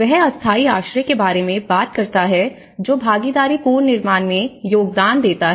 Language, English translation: Hindi, So, he talks about temporary shelter contribute to participatory reconstruction